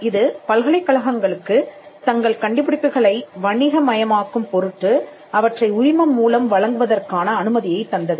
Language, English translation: Tamil, Now, this act allowed universities to license their inventions and to commercially development